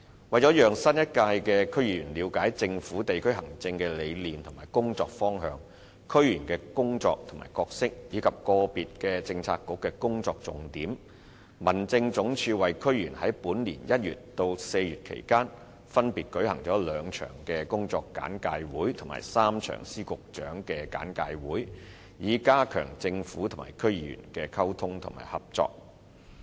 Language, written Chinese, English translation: Cantonese, 為了讓新一屆的區議員了解政府在地區行政的理念及工作方向、區議員的工作和角色，以及個別政策局的工作重點，民政總署在本年1月至4月期間，為區議員分別舉行了兩場工作簡介會及3場司局長簡介會，以加強政府與區議員的溝通和合作。, In order to brief the new term of DC members on the rationale and work directions of the Government in district administration the work and role of DC members and the major tasks of individual Policy Bureaux between January and April this year HAD respectively organized two work briefings and three briefings by Secretaries of Departments and Directors of Bureaux for DC members with a view to strengthening the communication and cooperation between the Government and DC members